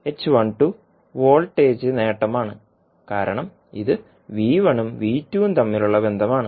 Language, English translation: Malayalam, Reverse voltage gain because it is a relationship between V1 and V2